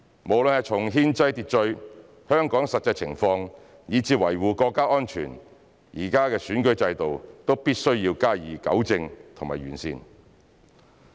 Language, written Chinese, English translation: Cantonese, 無論是從憲制秩序、香港實際情況，以至維護國家安全來看，現時的選舉制度都必須加以糾正和完善。, Therefore it is necessary to rectify and improve the current electoral system considering the need for maintaining constitutional order addressing the actual circumstance of Hong Kongs and safeguarding national security